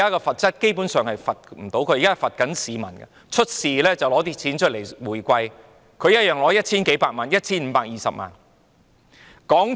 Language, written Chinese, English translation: Cantonese, 發生問題時，港鐵公司便出錢作回饋，他一樣可以收取 1,520 萬元。, Whenever a problem occurred MTRCL would fork out money to offer rebates and someone could still receive 15.2 million